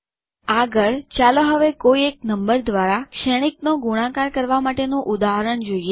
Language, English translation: Gujarati, Next, let us see an example of multiplying a matrix by a number